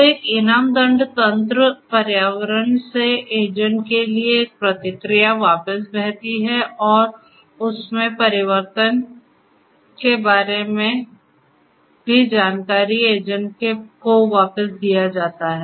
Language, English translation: Hindi, So, a reward penalty kind of mechanism, a feedback from the environment to the agent flows back and also the information about the change in the state is also fed back to the agent